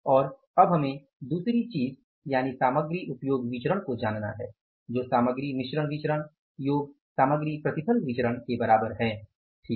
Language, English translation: Hindi, So, and then we have to go for the second thing is material usage variance is equal to material mixed variance plus material yield variance